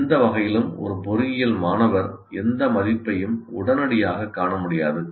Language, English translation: Tamil, In either way, an engineering student may not see any value in that immediately